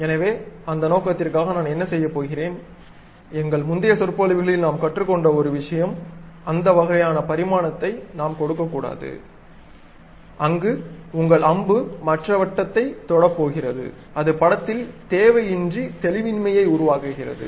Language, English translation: Tamil, So, for that purpose, what I am going to do, one of the thing what we have learnt in our earlier lectures we should not give this kind of dimension, where your arrow is going to touch other circle and it unnecessarily create ambiguity with the picture